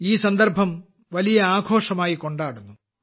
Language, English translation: Malayalam, This occasion is being celebrated as a big festival